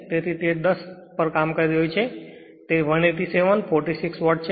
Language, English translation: Gujarati, So, it is operating at that 10 it is 187, 46 your watt